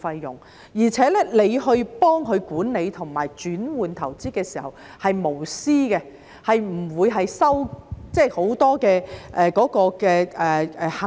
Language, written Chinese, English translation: Cantonese, 而且幫助市民管理和轉換投資的時候是無私的，不會收取很多行政費。, And when helping the public in managing and switching their investments the process should be selfless or unbiased without charging excessive administrative fee